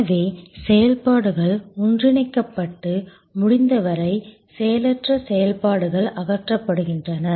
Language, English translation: Tamil, So, activities are merged and as far as possible, idle activities are removed